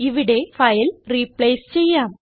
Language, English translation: Malayalam, Here let us replace the file